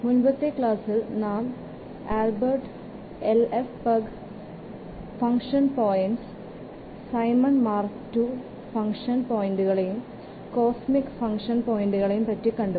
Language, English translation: Malayalam, See last class we have seen Albreast IFPuG function points, Simpson's Mach 2 function points, cosmic function points